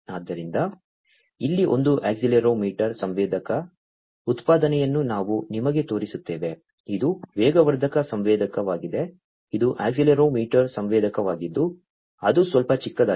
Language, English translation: Kannada, So, let me show you the example of an accelerometer sensor over here, this is an accelerometer sensor; this is an accelerometer sensor it is little small